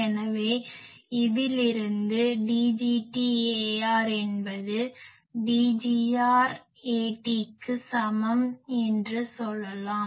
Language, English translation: Tamil, So, from this we say that D gt A r is equal to D gr A t